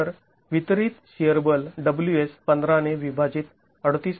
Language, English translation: Marathi, So, the distributed shear force WS is nothing but 38